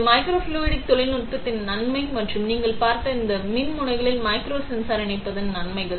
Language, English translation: Tamil, That is the advantage of microfluidic technology and that is the advantages of incorporating a micro sensor into these electrodes which you saw